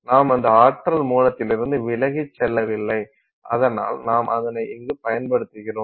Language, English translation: Tamil, So, we have not really gone away from that you know source of energy so that we are using that